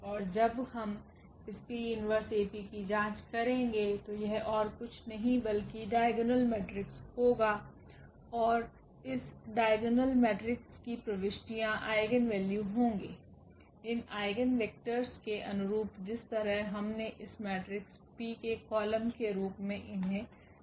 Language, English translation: Hindi, And when we check this P inverse AP that will be nothing, but the diagonal matrix and entries of these diagonal matrix will be just the eigenvalues, corresponding to these eigenvectors we have placed in the sequence as columns of this matrix P